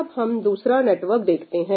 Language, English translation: Hindi, Let us consider another network